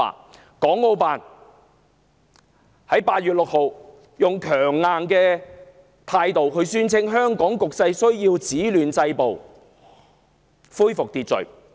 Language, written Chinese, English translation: Cantonese, 國務院港澳事務辦公室8月6日語氣強硬地宣稱，香港需要止暴制亂，恢復秩序。, On 6 August the Hong Kong and Macao Affairs Office of the State Council sternly decreed that the violence must be stopped disorder curbed and order restored in Hong Kong